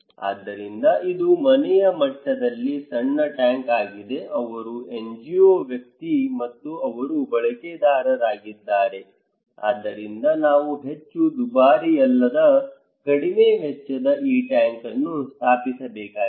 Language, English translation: Kannada, So, this is a small tank at the household level, he is the NGO person, and they are the users so, we need to install this tank which is not very costly, little costly